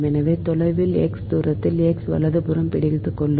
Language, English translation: Tamil, so, at a distance, at a distance x, i just hold on at a